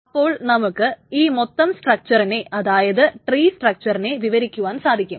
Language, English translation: Malayalam, So you can define this entire structure, the tree structure